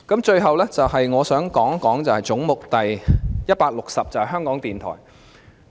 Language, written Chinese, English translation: Cantonese, 最後，我想談一談總目 160， 即香港電台。, Lastly I wish to talk about head 160 ie . Radio Television Hong Kong RTHK